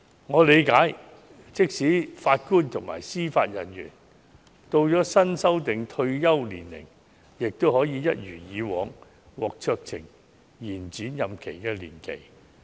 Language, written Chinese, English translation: Cantonese, 我理解，即使法官及司法人員到了新訂退休年齡，也可以一如以往，獲酌情延展任期年期。, I understand that even if JJOs have reached the new retirement age their term of office can be extended by discretion as in the past